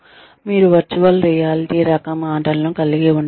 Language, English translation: Telugu, You could have, virtual reality type games